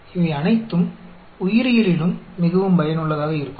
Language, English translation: Tamil, All these are very useful in biology as well